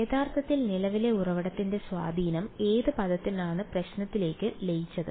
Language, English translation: Malayalam, Actually the influence of the current source has been absorbed into the problem in which term